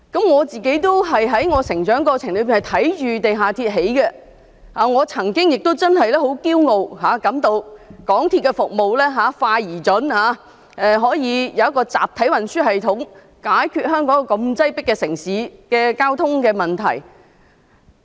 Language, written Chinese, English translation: Cantonese, 我在成長過程中，也看到地下鐵的建造，我曾經亦感到很驕傲，港鐵公司的服務快而準，香港可以有一個集體運輸系統，解決這個擠迫城市的交通問題。, In my youthful days I used to feel proud of the MTR as I had witnessed its construction . Since MTRCL provided fast and punctual services Hong Kong was able to solve the transport problem of such a crowded city through the mass transit railway system . However now we started to see botches and ageing problems of the hardware